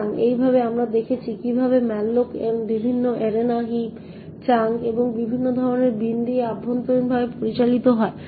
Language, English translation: Bengali, So in this way we have seen how malloc is managed internally with various arenas, heaps, chunks and various types of bin